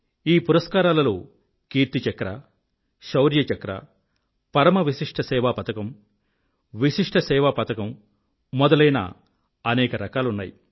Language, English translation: Telugu, There are various categories of these gallantry awards like Kirti Chakra, Shaurya Chakra, Vishisht Seva Medal and Param Vishisht Seva Medal